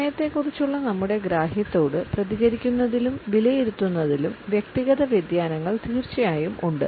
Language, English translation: Malayalam, There are of course, individual variations in the way we respond to our understanding of time and evaluate